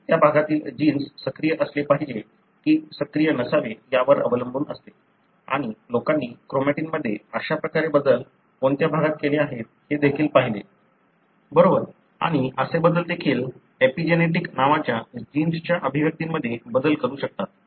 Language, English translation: Marathi, It depends on whether a gene in that region should be active or not active and people even looked at what are the regions you have such kind of modifications in the chromatin, right and such modification can also be modulating the expression of the genes which also you call as epigenetic something, that you know is coming up in the field